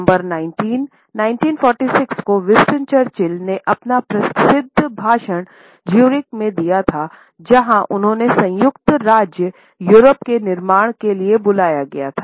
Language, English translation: Hindi, On September 19, 1946, Winston Churchill had delivered his famous speech in Zurich and where he had called for the creation of a United State of Europe